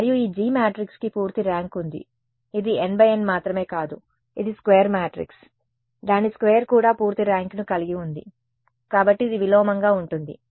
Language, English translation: Telugu, And, this G D matrix it has full rank it is a square matrix n by n not only its square it also has full rank therefore, it is invertible